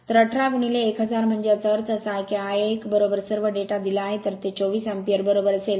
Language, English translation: Marathi, So, 18 into 1000; so that means, I 1 is equal to all the data are given, so it will be 24 ampere right